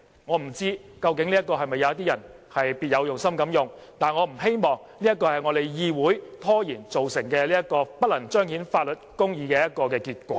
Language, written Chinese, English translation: Cantonese, 我不知道這是否有人別有用心要這樣做，但我不希望因為我們議會拖延而造成不能彰顯法律公義的結果。, I do not know if anyone intentionally does this but it is not my wish to see a failure in manifesting judicial justice due to the procrastination of our legislature